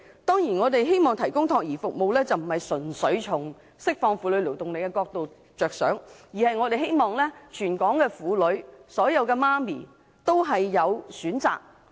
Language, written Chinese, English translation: Cantonese, 當然，我們希望提供託兒服務，並非純粹着眼於釋放婦女勞動力，而是希望全港婦女和所有母親均有選擇。, Of course our demand for child care services does not solely focus on the release of the female labour force but also aims at giving all women and mothers in Hong Kong choices